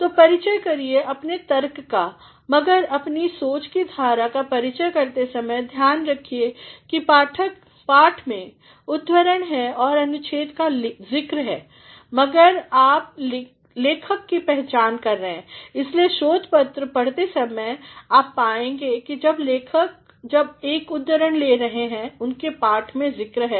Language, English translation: Hindi, So, introduce your points, but while introducing your line of thinking say to it, that quotations and paragraphs in the texts are mentioned, but you are identifying the author, that is why while reading a research paper you will find, that the author when the you are taking a sort quotation is they are mentioned in the text